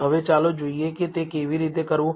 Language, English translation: Gujarati, Now, let us see how to do that